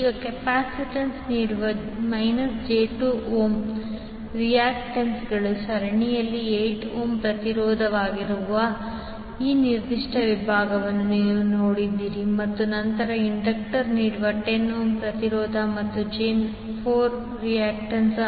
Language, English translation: Kannada, Now, if you see this particular segment that is 8 ohm resistance in series with minus j2 ohm reactance offered by capacitance and then 10 ohm resistance and j4 reactance offered by the inductor